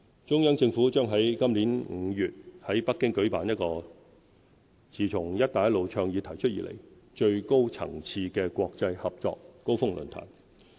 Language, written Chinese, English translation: Cantonese, 中央政府將在今年5月在北京舉辦一個自"一帶一路"倡議提出以來最高層次的國際合作高峰論壇。, In May the Central Government will host a Belt and Road Forum for International Cooperation in Beijing the highest - level forum since the introduction of the Belt and Road Initiative to highlight its achievements